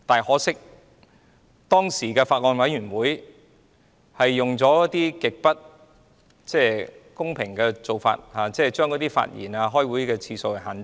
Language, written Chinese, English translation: Cantonese, 可惜，當時的法案委員會用了極不公平的做法，就是限制委員發言和開會次數。, Regrettably the Bills Committee at the time adopted an extremely unfair arrangement by limiting the speaking time of Members and the number of meetings to be held